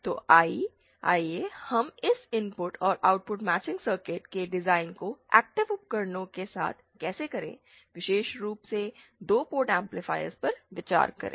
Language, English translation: Hindi, So, let us consider how to do this design of this input and output matching circuits for active devices, specifically 2 port amplifiers